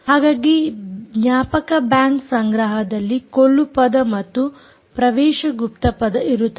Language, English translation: Kannada, so the memory bank stores the kill password and access password